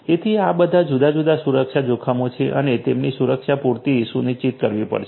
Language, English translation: Gujarati, So, all of these are different security risks and the their security will have to be ensured adequately